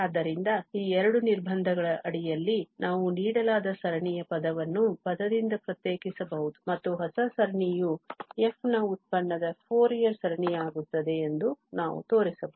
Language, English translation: Kannada, So, under these two restrictions we can show that we can differentiate the given series term by term and the new series will become the Fourier series of the derivative of f